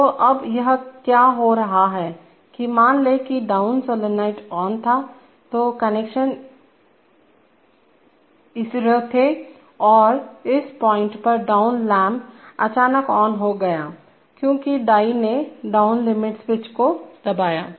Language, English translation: Hindi, So now what is happening is that suppose the down solenoid is, the down solenoid was on, so actually the connection was coming like this, at this point the down lamp, the down lamp suddenly became on, the down lamp became on, because the die hit the limit switch, down limit switch